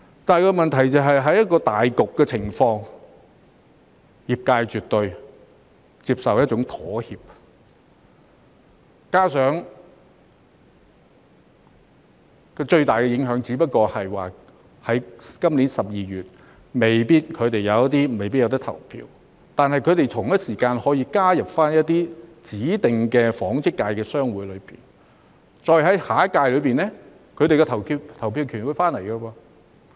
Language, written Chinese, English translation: Cantonese, 但問題是，在考慮到大局的情況下，業界絕對接受一種妥協，加上最大的影響只不過是他們有些人在今年12月未必可以投票，但同一時間，他們可以加入一些指定的紡織界商會，然後在下一屆時，他們便重新獲得投票權。, But the point is taking the big picture into account our sector would definitely accept a compromise . Moreover the greatest impact is that some of them may not be able to vote in December this year . Yet at the same time they can join some of the designated chambers of commerce in the textiles industry and then they will be eligible for voting again in the next term